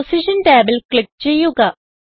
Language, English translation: Malayalam, Click on Position tab